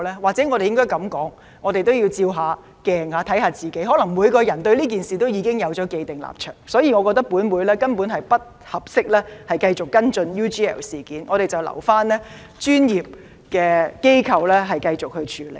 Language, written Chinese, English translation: Cantonese, 或許我們應該這樣說，我們也要照照鏡子，審視一下自己，可能每個人對這事已有既定立場，所以我認為本會根本不適宜繼續跟進 UGL 事件，留待我們的專業機構繼續處理。, Or perhaps we should say that we also need to look at the mirror and judge ourselves . Perhaps every Member already has heher own stance on this matter therefore I consider that it is not suitable for this Council to follow up the UGL case and we should leave it to our professional institutions